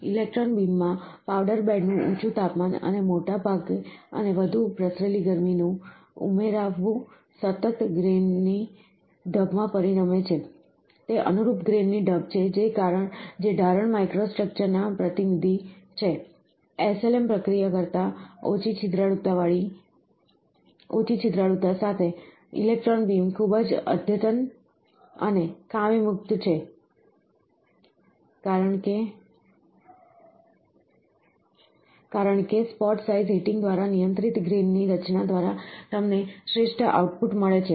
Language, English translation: Gujarati, In electron beam the higher temperature of the powder bed, and the larger and more diffused heat input results in continuous grain pattern, are the resulting in contiguous grain pattern that is more representative of casting microstructure, with little porosity than SLM process, electron beam is very advanced and defect free, because spot size heating controlled grain structure, you get the best output